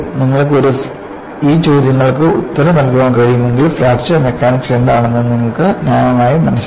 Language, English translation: Malayalam, If you are able to answer these questions, then you have reasonably understood what Fracture Mechanics is